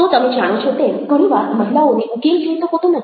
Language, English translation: Gujarati, so you find that women very often dont want solutions